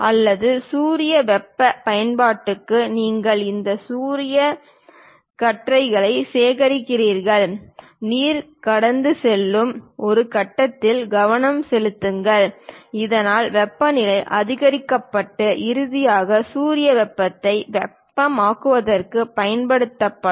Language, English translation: Tamil, Or perhaps for solar heating applications, you collect these solar beams; focus on one point through which water will be passed, so that temperature will be increased and finally utilized for solar heating of water